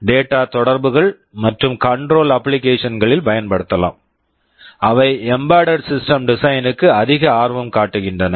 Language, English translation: Tamil, We can use for data communication and also for control applications, which we would be more interested in for embedded system design